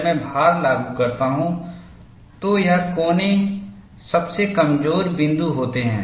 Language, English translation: Hindi, When I apply the load, this corner is the weakest point